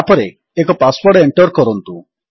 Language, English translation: Odia, Now type the correct password